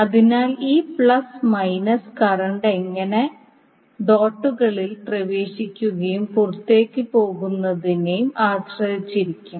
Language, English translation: Malayalam, So this plus minus will be depending upon how current is entering and leaving the dots